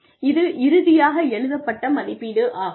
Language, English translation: Tamil, And, that is the final written appraisal